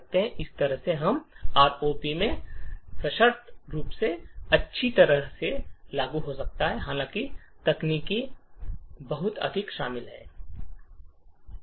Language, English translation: Hindi, In a similar way we could also have conditional branching as well implemented in ROP although the techniques are much more involved